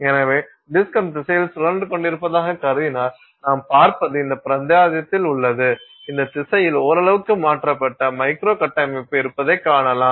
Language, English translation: Tamil, So, if you assume that, if you assume that the disk was rotating in that direction, then what you will see is in this region you will see the microstructure having shifted gone in that, somewhat in that direction